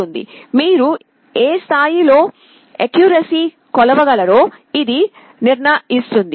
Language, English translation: Telugu, This determines to what level of accuracy you can make the measurement